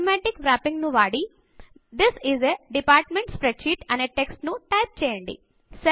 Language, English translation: Telugu, Using Automatic Wrapping type the text, This is a Department Spreadsheet